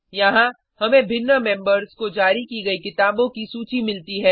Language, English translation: Hindi, Here, we get the list of books issued to different members